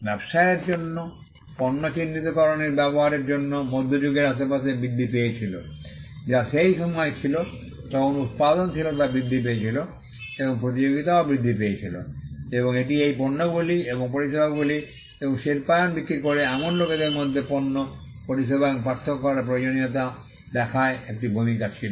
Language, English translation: Bengali, The use of marks for businesses to identify goods increased around the middle ages, which was a time when productivity increased, and competition also increased and this saw the need to distinguish, goods and services amongst people who were selling these goods and services and industrialization also played a role